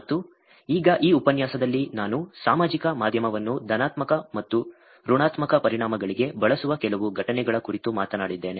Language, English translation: Kannada, And now in this lecture I talked about some incidences that where social media is used for both positive and negative implications